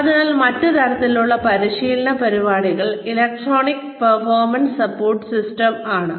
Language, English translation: Malayalam, So, that is the another type of, electronic performance support system